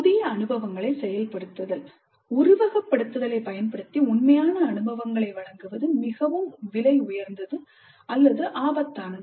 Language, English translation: Tamil, And activating new experiences, use simulation where providing real experiences is either too expensive or too risky